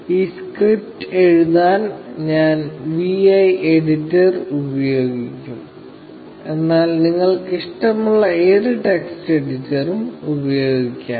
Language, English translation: Malayalam, I will be using the vi editor to write this script, but you can use any text editor you like